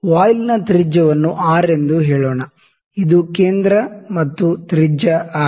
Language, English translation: Kannada, And the radius of the voile is let me say R, this is centre the radius is R